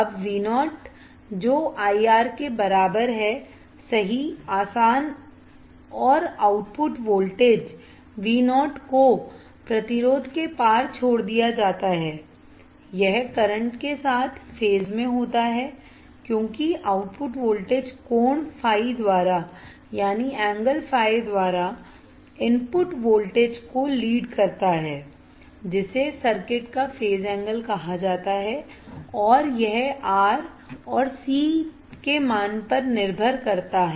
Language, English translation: Hindi, Now V o equals to I R, right, easy and the output voltage V o is drop across the resistance, it is in phase it is phase with current as the output voltage leads the input voltage by angle phi in general phi is called the phase angle of the circuit and depends on R and c selected